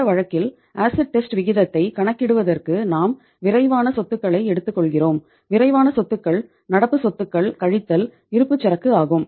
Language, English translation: Tamil, In this case we are finding out that for calculating the acid test ratio we are taking the quick assets and quick assets are current assets minus inventory